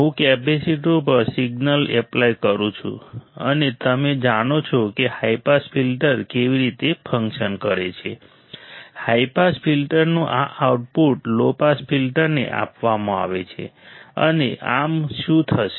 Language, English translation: Gujarati, I apply a signal right to the capacitor and you know how the high pass filter works, this output of the high pass filter is fed to the low pass filter, and thus; what will happened